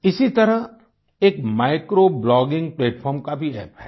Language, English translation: Hindi, Similarly, there is also an app for micro blogging platform